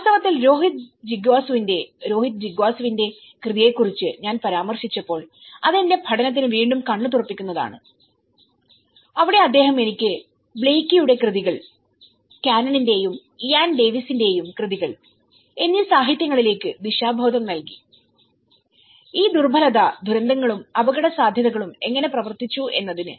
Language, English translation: Malayalam, In fact, Rohit Jigyasu’s, when I referred with that Rohit Jigyasu’s work, I am mean that is an again and eye opener for my study where, he have given me a direction that a lot of literature from Blaikie’s work, Canon and Ian Davis work and how these vulnerability disaster and hazard have been worked out